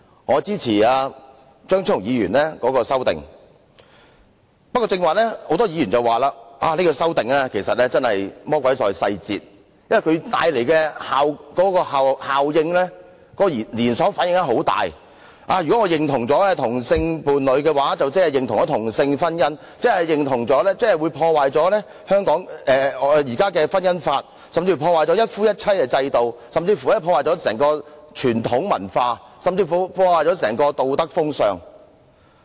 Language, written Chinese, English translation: Cantonese, 我支持張超雄議員提出的修正案，不過，剛才有很多議員表示，這項修正案屬"魔鬼在細節"，說修正案會帶來很大的後果和連鎖反應，假如認同了同性伴侶，即等於認同同性婚姻；認同同性婚姻，便會破壞現行的《婚姻條例》，甚至破壞"一夫一妻"制度、傳統文化，甚至道德風尚。, I support the Committee stage amendment CSA proposed by Dr Fernando CHEUNG in which many Members claimed the devil is in the details and that it will bring forth significant consequences and a knock - on effect . They claimed that recognizing same - sex partners is equivalent to recognizing same - sex marriage which will destroy the existing Marriage Ordinance undermine the monogamy system traditional culture and even social morality